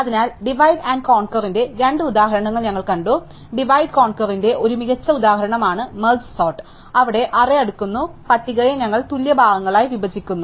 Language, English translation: Malayalam, So, we have seen two examples of divide and conquer, merge sort is a classic example of divided conquer, where we divide the list to be sorted of the array to be sorted into equal parts